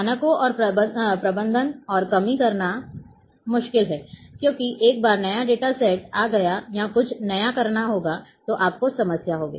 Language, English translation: Hindi, Difficult to manage and lack of standards because once new data new data set will come or something new as to be required then you will have problems